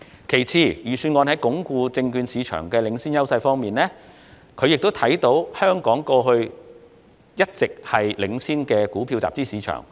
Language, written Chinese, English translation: Cantonese, 其次，關於鞏固證券市場的領先優勢方面，香港多年來一直是全球領先的股票集資市場。, Secondly on consolidating the leading advantages of the securities market Hong Kong has been a world - leading fund - raising equity market for many years